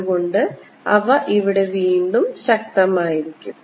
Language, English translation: Malayalam, so they'll go like this: strong again here